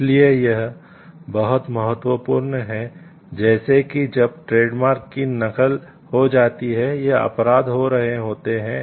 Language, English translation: Hindi, So, it is very important like when like trademark its gets copied or offenses are happening